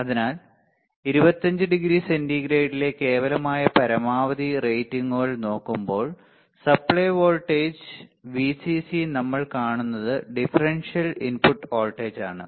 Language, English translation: Malayalam, So, when we look at the absolute maximum ratings at 25 degree centigrade, what we see supply voltage right Vcc we have seen that differential input voltage